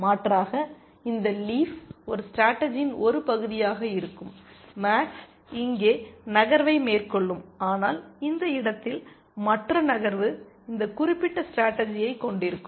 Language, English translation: Tamil, Alternatively, this leaf will also be part of a strategy where max makes that move, this move here, but the other move at this place here, that also will contain this particular strategy